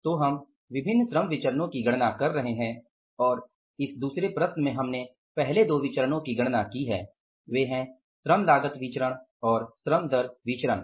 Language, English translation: Hindi, So, we are calculating the different labor variances and this second problem we calculated the first two variances that is labor cost variance and labor rate of pay varies